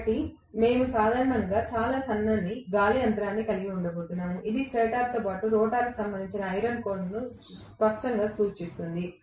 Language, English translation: Telugu, So, we are going to generally have very thin air gap, this clearly indicates the iron core corresponding to stator as well as rotor